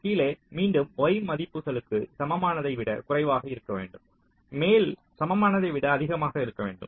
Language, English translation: Tamil, bottom again should be less than equal to the y values